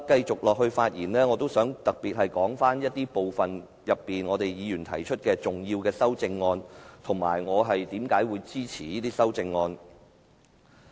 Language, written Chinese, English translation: Cantonese, 接下來，我特別想就一些議員提出的重要修正案發言，以及說出為何我會支持這些修正案。, Next I especially wish to speak on some important amendments proposed by Members and explain why I support these amendments